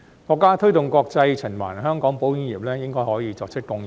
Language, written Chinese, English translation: Cantonese, 國家推動國際循環，香港保險業應該可以作出貢獻。, Hong Kongs insurance industry should be able to contribute to the countrys promotion of international circulation